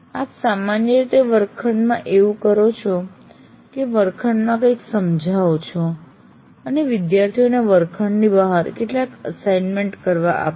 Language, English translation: Gujarati, That means you essentially flip what you normally do in the classroom of explaining something in the classroom and ask the students to do some assignments outside the classroom